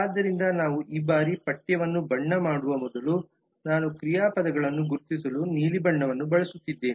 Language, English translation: Kannada, so like before we just colorizing the text this time i am using the blue colour to identify the verbs